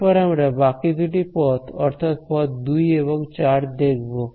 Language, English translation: Bengali, Now let us go back to the remaining two paths which are path 2 and path 4